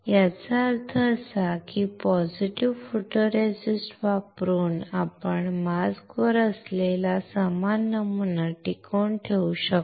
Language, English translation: Marathi, That means that using positive photoresist, we can retain similar pattern which is on the mask